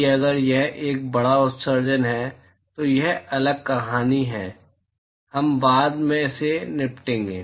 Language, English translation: Hindi, That if it is a volumetric emission, that is a different story; we will deal with it later